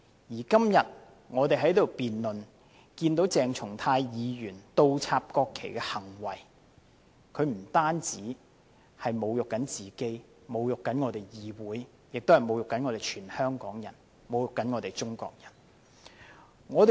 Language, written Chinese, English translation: Cantonese, 而我們今天辯論鄭松泰議員倒插國旗的行為，他不僅侮辱自己和議會，同時侮辱所有香港人和中國人。, Today we are having a debate on Dr CHENG Chung - tais behaviour of inverting the national flags . He has insulted not only himself and the Council but also Hong Kong people and Chinese at large